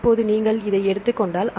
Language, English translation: Tamil, Now, if you take this one